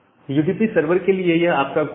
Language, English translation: Hindi, So, here is your code for the UDP server